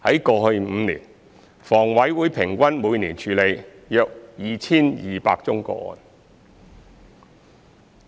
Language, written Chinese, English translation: Cantonese, 過去5年，房委會平均每年處理約 2,200 宗個案。, In the past five years HA handled about 2 200 cases on average each year